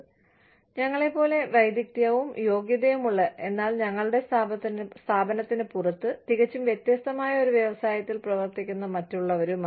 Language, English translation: Malayalam, And, with others, who are as skilled and qualified as us, but are working in a different industry, outside our organization, completely